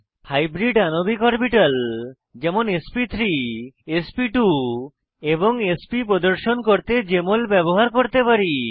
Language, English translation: Bengali, Hybridized molecular orbitals such as sp3, sp2 and sp can be displayed using Jmol